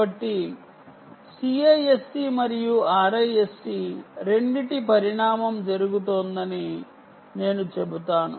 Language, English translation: Telugu, so i would say evolution of both cisc and risc is happening